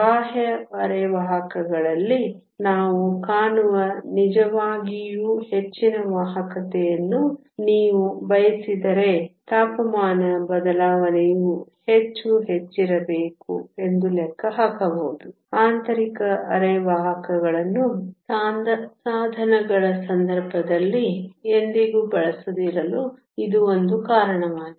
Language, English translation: Kannada, If you want the really high conductivities that we see in the extrinsic semiconductors can actually calculate that the temperature change must be much higher, this is one of the reason why intrinsic semiconductors are almost never used in the case of devices